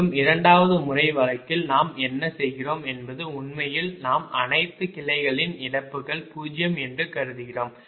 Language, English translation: Tamil, right, and in the second method case what you are doing is actually we are assuming the losses of all branches are zero